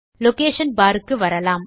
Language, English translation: Tamil, Coming down to the Location Bar